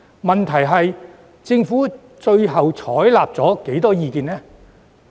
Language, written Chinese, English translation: Cantonese, 問題是政府最終採取了多少意見？, The question is how much advice has the Government taken eventually?